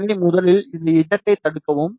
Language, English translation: Tamil, So, for first block this z